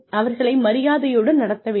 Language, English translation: Tamil, You respect them, you treat them with respect